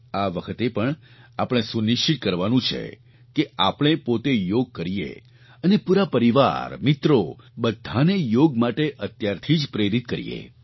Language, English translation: Gujarati, This time too, we need to ensure that we do yoga ourselves and motivate our family, friends and all others from now itself to do yoga